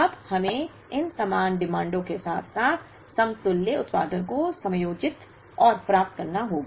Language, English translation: Hindi, We will now, have to adjust and get these equivalent demands, as well as equivalent production